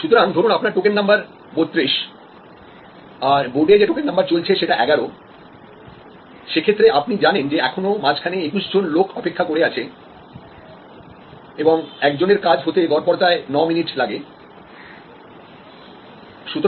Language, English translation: Bengali, So, if your number is 32 and you see that on the board number 11 is getting served, so you know; that is gap of 21 more people waiting and into average 9 minutes